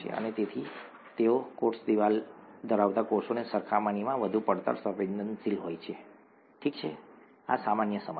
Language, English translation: Gujarati, And therefore they are much more shear sensitive than when compared to the cells that have a cell wall, okay, this is common sense